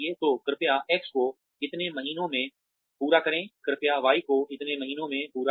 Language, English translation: Hindi, So, please finish X in so many months, please finish Y in so many months